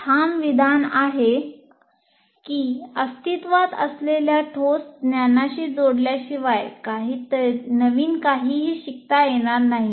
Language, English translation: Marathi, Nothing new can be learned unless it is linked to existing concrete knowledge